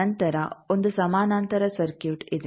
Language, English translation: Kannada, Then there is a parallel circuit